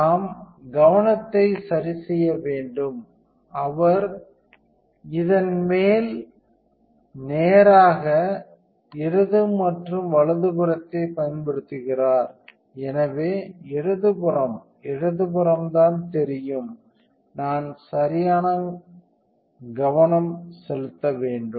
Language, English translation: Tamil, So, we need to adjust the focus, so, he use this top straight left and right, so the left one just the left you know I want to adjust the right focused